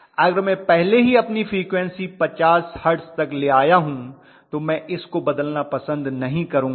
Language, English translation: Hindi, If I have already brought up my frequency to 50 hertz, I would not like to play around with it